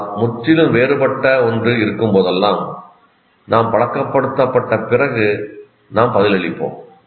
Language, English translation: Tamil, But whenever there is something that is completely different after we get habituated, it comes, we respond